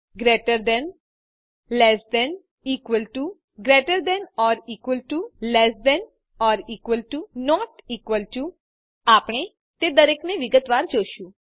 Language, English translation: Gujarati, * greater than * less than 00:01:13 00:00:13 * equal to * greater than or equal to * less than or equal to * not equal to We shall look into each of them in detail